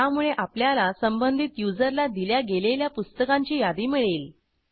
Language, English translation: Marathi, So, we get the list of books issued for the corresponding user